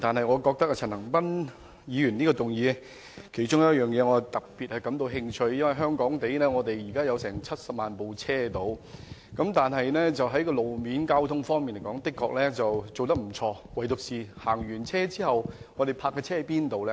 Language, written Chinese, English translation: Cantonese, 我對陳恒鑌議員提出的議案的其中一部分內容特別感興趣，因為香港現時約有70萬輛汽車，雖然路面交通設施頗為完善，但駕車人士可以把車輛停泊在哪裏？, I am particularly interested in one part of the motion moved by Mr CHAN Han - pan . As there are about 700 000 motor vehicles in Hong Kong now despite the rather adequate road and transport facilities motorists may have nowhere to park their cars